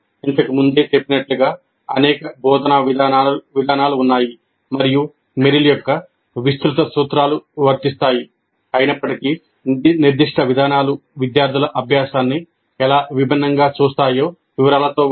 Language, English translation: Telugu, So as I mentioned, there are several instructional approaches and though the broad principles of material are applicable, the specific approaches do differ in the details of how they look at the learning by the students